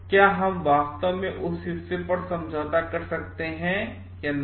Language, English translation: Hindi, Can we really compromise on that part or not